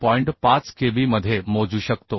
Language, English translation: Marathi, 5 into kb value is 0